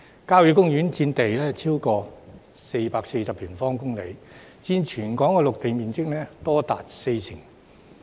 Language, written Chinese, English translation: Cantonese, 郊野公園佔地超過440平方公里，佔全港陸地面積多達四成。, Country parks occupy over 440 sq km of land accounting for as much as 40 % of Hong Kongs land area